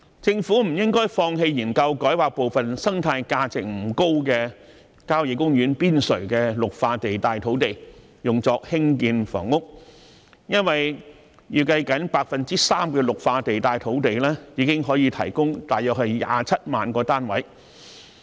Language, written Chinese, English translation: Cantonese, 政府不應放棄研究把部分生態價值不高的郊野公園邊陲綠化地帶土地改劃作興建房屋，因為預計僅 3% 的綠化地帶土地已經可以提供約27萬個單位。, The Government should not give up studying the rezoning of part of the Green Belt sites on the periphery of country parks of relatively low ecological value for housing as it is estimated that only 3 % of the Green Belt sites will have a capacity to provide about 270 000 units